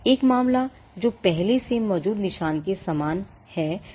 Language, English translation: Hindi, A matter that is same or similar to an already existing mark